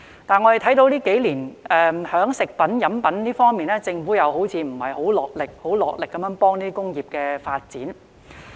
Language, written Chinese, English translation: Cantonese, 不過，我們看到這幾年，對於食品、飲品製造，政府好像沒有落力幫助有關工業的發展。, However we can see that in the past few years it seems that the Government has not made serious efforts to foster the development of food and beverage manufacturing